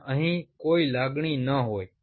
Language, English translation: Gujarati, there wont be any emotion out here